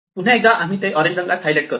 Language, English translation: Marathi, So, once again we mark it in orange